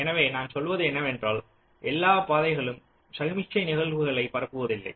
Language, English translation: Tamil, so what i am saying here is that not all paths can propagate signal events